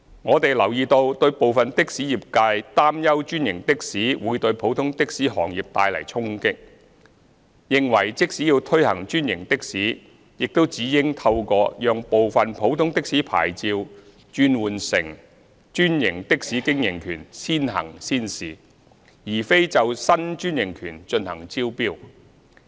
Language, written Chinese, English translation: Cantonese, 我們留意到部分的士業界擔憂專營的士會對普通的士行業帶來衝擊，認為即使要推行專營的士，亦只應透過讓部分普通的士牌照轉換成專營的士經營權先行先試，而非就新專營權進行招標。, We have noted the concern of some members of the taxi trade about the impact of franchised taxis on the business of ordinary taxis . They hold that even if franchised taxis are to be introduced the Government should only do so on a pilot basis by allowing some ordinary taxis to convert their licences into an operating right for franchised taxi services instead of inviting tenders for new franchises